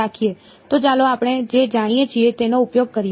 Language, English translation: Gujarati, So, let us use what we already know ok